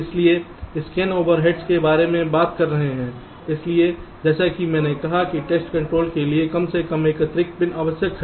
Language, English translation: Hindi, ok, so talking about the scan overheads, so, as i said, at least one additional pin for the test control is necessary